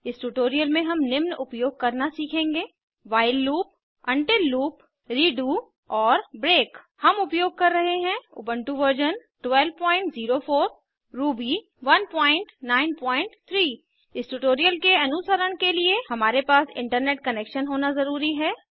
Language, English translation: Hindi, In this tutorial we will learn to use while loop until loop redo and break We are using Ubuntu version 12.04 Ruby 1.9.3 To follow this tutorial, you must have Internet Connection